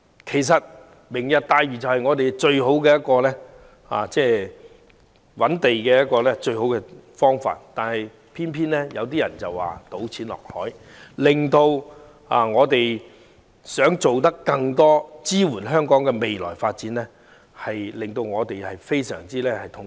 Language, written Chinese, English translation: Cantonese, 其實"明日大嶼"正是我們最佳的覓地方法，但偏偏有人說這是"倒錢落海"，令我們這些想做更多事情支援香港未來發展的人非常痛心。, In fact Lantau Tomorrow is precisely the best approach for us to acquire land yet it is criticized by some as dumping money into the sea much to the anguish of us who wish to do more to support the future development of Hong Kong